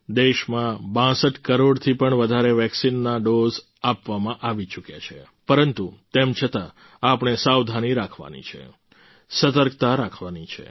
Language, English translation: Gujarati, More than 62 crore vaccine doses have been administered in the country, but still we have to be careful, be vigilant